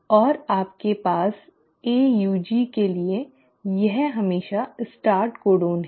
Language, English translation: Hindi, And for the AUG you have, this is always the start codon